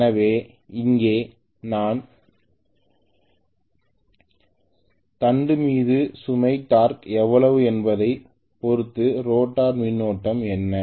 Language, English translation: Tamil, So here I am going to rather specify what is the rotor current depending upon how much is the load torque on the shaft